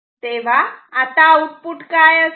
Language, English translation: Marathi, So, what will be the output